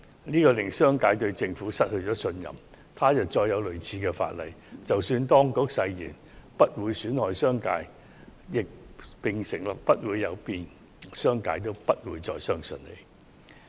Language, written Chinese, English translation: Cantonese, 這令商界對政府失去信任，他日再要制定類似法例時，即使當局誓言不會損害商界利益，並承諾不會有變，商界也不會再相信。, This has resulted in a loss of trust among the business sector to the Government . When similar legislation is introduced in the future even if the Government pledges that the interests of the business sector will not be harmed and nothing will be changed the latter will no longer believe it